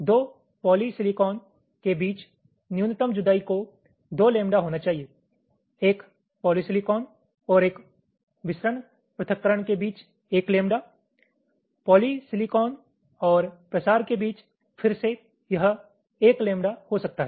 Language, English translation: Hindi, between a polysilicon and a diffusion separation can be one lambda between polysilicon and diffusion, again it can be one lambda